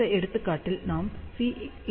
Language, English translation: Tamil, So, C will be equal to 1